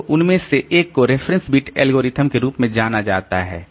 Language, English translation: Hindi, So, one of them is known as the reference bit algorithm